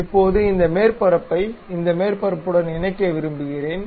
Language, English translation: Tamil, Now, I want to really lock this surface with this surface